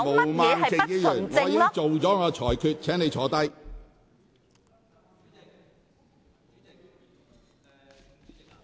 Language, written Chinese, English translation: Cantonese, 毛孟靜議員，我已作出裁決，請坐下。, Ms Claudia MO I have made my ruling . Please sit down